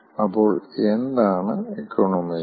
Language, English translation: Malayalam, so what is an economizer